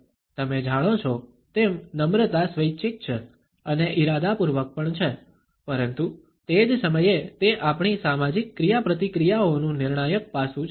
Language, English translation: Gujarati, Politeness as you know is voluntary and also deliberate, but at the same time it is a crucial aspect of our social interactions